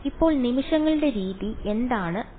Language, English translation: Malayalam, Now, here is what the method of moments prescribes